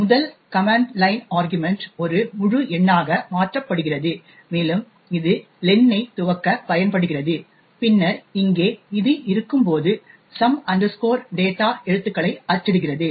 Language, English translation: Tamil, The first command line argument is converted to an integer and it is used to initialise len and then we have this while loop over here which prints characters of some data